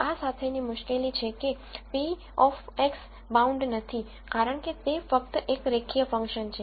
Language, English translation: Gujarati, The difficulty with this is, this p of x is not bounded because, it is just a linear function